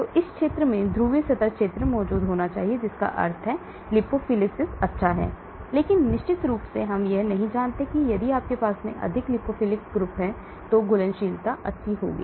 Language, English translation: Hindi, So polar surface area should lie in this region that means lipophilicity is good but of course we do not know whether solubility will be good if you have more lipophilic